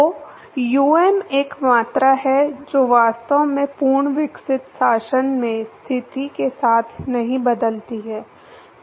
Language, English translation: Hindi, So, um is a quantity which actually does not change with position in the fully developed regime